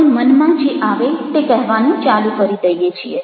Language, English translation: Gujarati, we start to speaking whatever comes to our mind